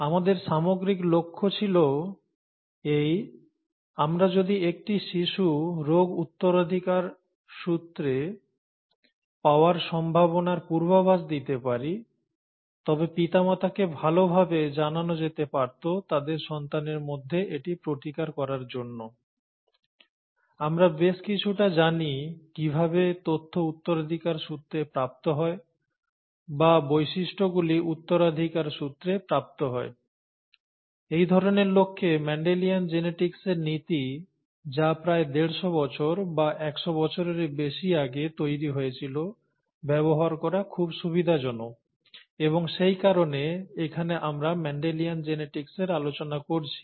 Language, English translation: Bengali, Our overall aim was that if we can predict a child’s chances to inherit the disorder, the parents can be better informed to handle it in their child, we know quite a bit about the way the information is inherited or the , the characteristics are inherited and so on, whereas for this kind of an aim, the principles of Mendelian Genetics which were developed about a century and a half ago, or more than a century ago, are very convenient to use; and that is the reason why we are looking at Mendelian Genetics here